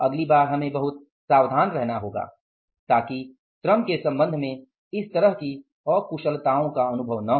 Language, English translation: Hindi, Next time we have to be very careful so that this kind of inefficiencies are not experienced with regard to the labor